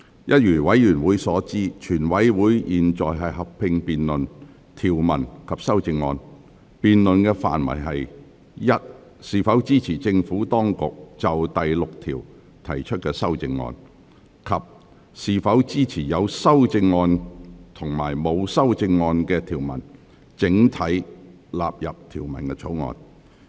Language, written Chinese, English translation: Cantonese, 一如委員所知，全體委員會現在合併辯論條文及修正案，辯論的範圍是：是否支持政府當局就第6條提出的修正案；及是否支持有修正案及沒有修正案的條文整體納入《條例草案》。, Members should know that the committee is now having a joint debate on the clauses and amendments and the scope of the debate is whether Members support the Administrations proposed amendment to clause 6 and whether they support the clauses with amendment and clauses with no amendment standing part of the Bill